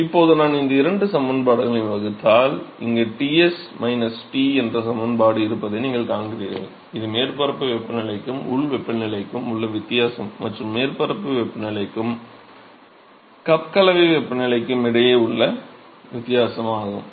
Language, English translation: Tamil, So, now if I divide these two expressions, you see there is an expression here which is Ts minus T that is the difference between the surface temperature and the local temperature and here is a difference between the surface temperature and the cup mixing temperature